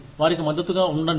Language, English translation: Telugu, Be supportive of them